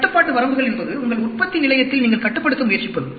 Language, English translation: Tamil, Control limits is what you try to control in your manufacturing facility